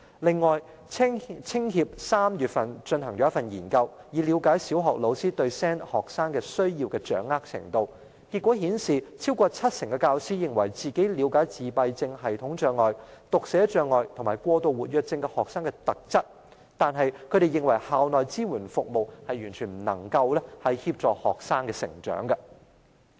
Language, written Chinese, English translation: Cantonese, 另外，香港青年協會在3月進行研究，以了解小學老師對 SEN 學生的需要的掌握程度，結果顯示有超過七成教師認為自己了解自閉症譜系障礙、讀寫障礙和過度活躍症學生的特質，但是，他們認為校內支援服務完全不能協助學生的成長。, How can they use the services when they have never heard of the support? . Moreover the Hong Kong Federation of Youth Groups carried out a survey in March to understand how much did primary school teachers know about the needs of SEN students and the results reveal that more than 70 % of the respondents thought that they understood the characteristics of students with autism spectrum disorder dyslexia and hyperactivity disorder but the support services rendered at schools had failed completely to assist student development